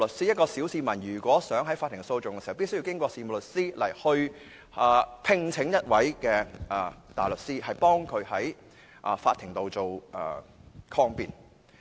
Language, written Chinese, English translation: Cantonese, 一名小市民想提出法庭訴訟，便須通過事務律師聘請大律師為他在法庭抗辯。, If an ordinary person wants to file a court proceeding he must hire a barrister through a solicitor to defend him in court